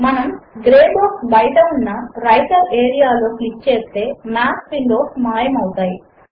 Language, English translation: Telugu, If we click once outside the gray box in the Writer area, the Math windows disappear